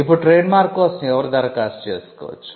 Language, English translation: Telugu, Now, who can apply for a trademark